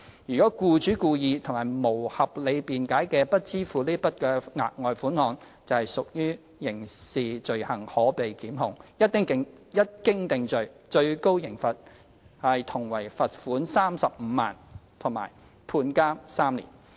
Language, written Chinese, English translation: Cantonese, 如僱主故意及無合理辯解而不支付該額外款項，則屬刑事罪行，可被檢控，一經定罪，最高刑罰同為罰款35萬元及判監3年。, If the employer wilfully and without reasonable excuse fails to pay the further sum heshe commits a criminal offence may be prosecuted and is subject to a maximum fine of 350,000 and three years imprisonment on conviction